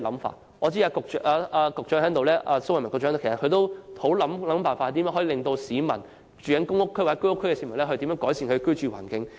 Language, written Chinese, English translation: Cantonese, 蘇偉文副局長現時在席，我知道他努力設法使居住在公屋或居屋的市民得以改善其居住環境。, Under Secretary Dr Raymond SO is present now . I know he had endeavoured to come up with ways to improve the living environment of people living in public rental housing PRH or Home Ownership Scheme flats